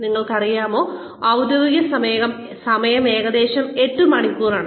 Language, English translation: Malayalam, You know, the official timing is about eight hours